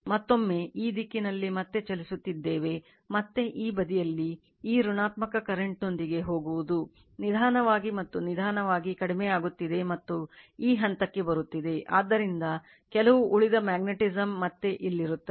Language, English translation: Kannada, And again further you are moving again in this direction, that again you are you are what you call go with your this negative current this side, you are slowly and slowly you are decreasing and coming to this point, so some residual magnetism again will be here